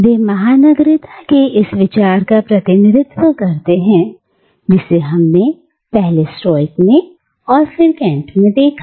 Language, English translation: Hindi, They echo this idea of cosmopolitanism that we first find in the Stoics and then again in Kant